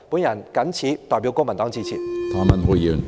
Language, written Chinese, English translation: Cantonese, 我謹代表公民黨致辭。, On behalf of the Civic Party I so submit